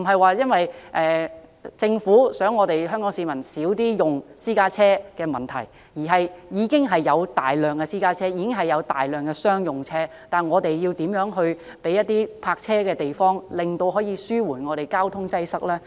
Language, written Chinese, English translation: Cantonese, 這不是政府呼籲香港市民減少使用私家車的問題，而是已經有大量的私家車及商用車，政府應提供泊車的地方，以紓緩交通擠塞。, The problem cannot be solved simply by the Government urging Hong Kong people to reduce the use of private cars . As there are already large numbers of private and commercial vehicles the Government must provide sufficient parking spaces to ease the traffic congestion